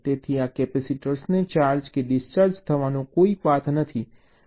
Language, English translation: Gujarati, so there is no path for this capacitor to get charged or discharged